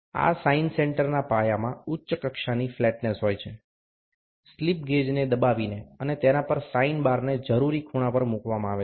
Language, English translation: Gujarati, The base of this sine center has a high degree of flatness, the slip gauge are wrung and placed on its set the sine bar at a required angle